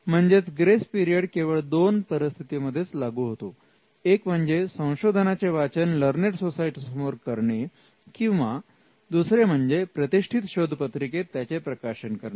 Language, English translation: Marathi, So, the grace period can be extended in only these two circumstances for research work that is presented before the learned society or that is published in a journal